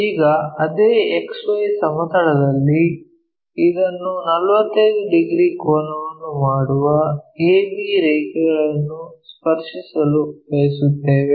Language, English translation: Kannada, Now on the same X Y plane we want to touch this a b line which is making 45 degrees angle